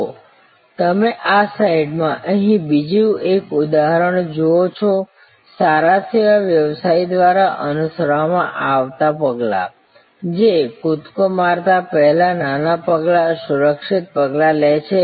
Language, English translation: Gujarati, So, you see another example here in this slide, the steps followed by a good service business, which takes small steps, secure steps, before they take the leap